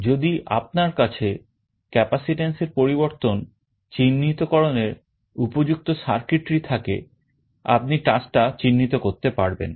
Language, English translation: Bengali, And if you have an appropriate circuitry to detect the change in capacitance, you can detect the touch